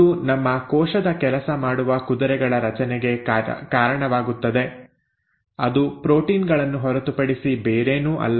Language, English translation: Kannada, It obviously leads to formation of the working horses of our cell which nothing but the proteins